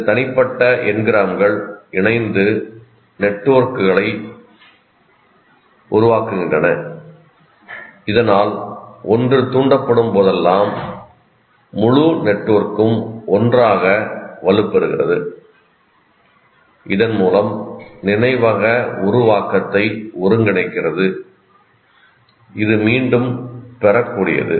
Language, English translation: Tamil, These individual n grams associate and form networks so that whenever one is triggered, the whole network together is strengthened, thereby consolidating the memory, making it more retrievable